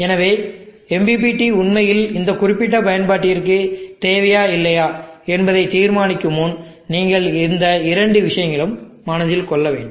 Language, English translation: Tamil, So these two things you keep in mind before deciding whether MPPT is really required or not for that particular application